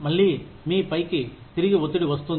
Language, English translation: Telugu, Again, pressure comes back on you